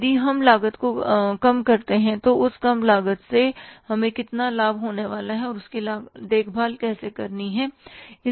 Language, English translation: Hindi, If we reduce the cost, how much benefit we are going to have out of that reduced cost and how to take care of that